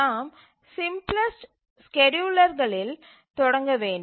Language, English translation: Tamil, We will start with the simplest scheduler